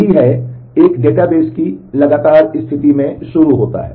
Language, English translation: Hindi, That is, it starts in a consistent state of the database